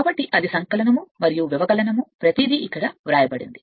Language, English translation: Telugu, So, that is it is written additive and subtractive everything is written here